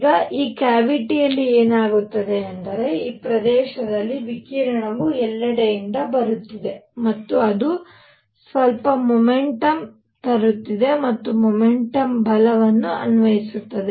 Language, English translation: Kannada, Now what is happening is that in this cavity; at this area a, radiation is coming from all over and it is bringing in some momentum and that momentum applies force